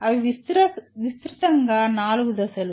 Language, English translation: Telugu, That is broadly the 4 stages